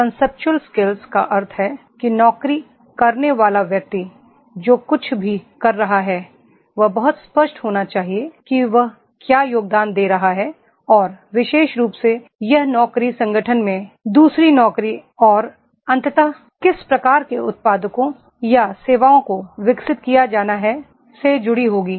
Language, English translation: Hindi, Conceptual skills means whatever the job person is doing he should be very clear that what he is contributing and where this particular this job will be connected with the another job in the organization and ultimately what type of products or services are to be developed